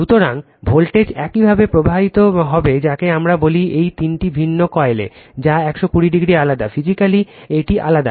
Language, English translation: Bengali, So, voltage will be induced your what we call in all this three different coil, which are 120 degree apart right, physically it is apart right